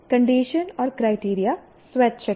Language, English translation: Hindi, Condition and criterion are optional